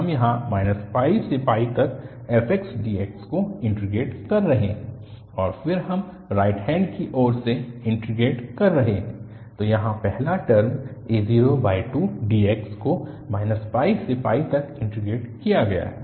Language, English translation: Hindi, We are integrating here minus pi to pi fx dx and then, we are integrating the right hand side also, so the first term here is integrated from minus pi to pi, a0 by 2 dx, and then the second term also